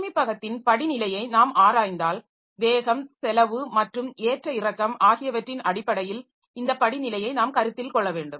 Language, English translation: Tamil, If you look into the hierarchy of storage so we have to consider this hierarchy in terms of speed cost and volatility